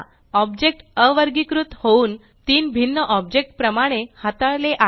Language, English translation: Marathi, The objects are now ungrouped and are treated as three separate objects